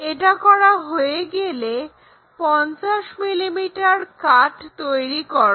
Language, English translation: Bengali, Once done, make 50 mm cut